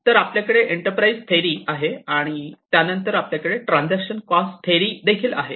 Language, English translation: Marathi, So, we have the enterprise theory, and then we have the transaction cost theory